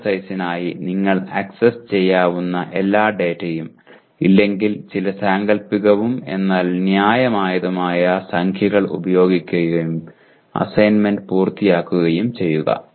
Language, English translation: Malayalam, And just for exercise if you do not have all the data accessible to you, use some hypothetical but reasonably realistic numbers and to compute the, to complete the assignment